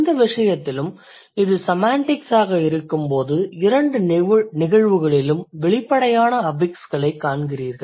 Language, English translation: Tamil, So, when it is semantically opposite, in that case also in both the cases you will see the overt affixes